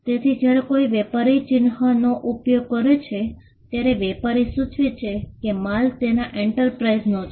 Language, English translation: Gujarati, Now, a trader when he uses a mark, the trader signifies that the goods are from his enterprise